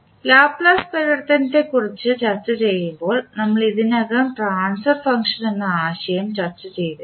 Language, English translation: Malayalam, This transfer function concept we have already discussed when we were discussing about the Laplace transform